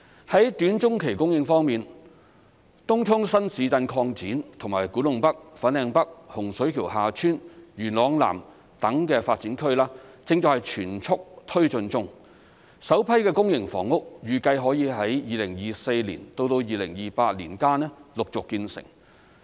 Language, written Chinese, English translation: Cantonese, 在短中期供應方面，東涌新市鎮擴展及古洞北/粉嶺北、洪水橋/厦村、元朗南等的發展區正在全速推進中，首批公營房屋預計可於2024年至2028年間陸續建成。, Regarding the supply in the short to medium term development projects in Tung Chung New Town Extension and new development areas like Kwu Tung NorthFanling North Hung Shui KiuHa Tsuen Yuen Long South are being taken forward in full swing . The first batch of public housing is expected to be completed in succession between 2024 and 2028